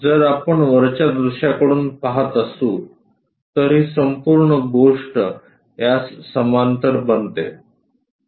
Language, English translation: Marathi, If we are looking from top view this entire thing goes parallel to this